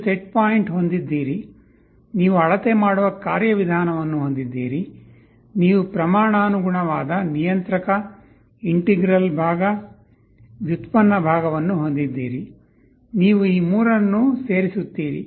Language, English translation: Kannada, You have the set point, you have the measuring mechanism, you have a proportional part in the controller, integral part, derivative part, you add all of these three up